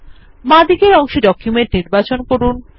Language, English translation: Bengali, On the left pane, select Document